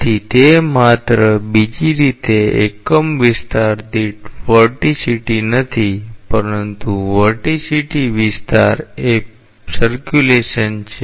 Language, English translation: Gujarati, So, it is just the other way not vorticity per unit area, but vorticity into area is the circulation